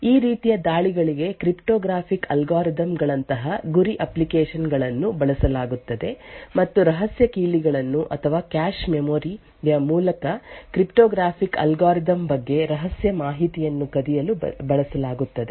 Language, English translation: Kannada, For these forms of attacks target application such as cryptographic algorithms and have been used to steal secret keys or secret information about the cryptographic algorithm through the cache memory